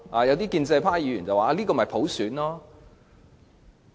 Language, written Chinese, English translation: Cantonese, 有些建制派議員更說，這就是普選。, Some Members of the pro - establishment camp even claimed that this is universal suffrage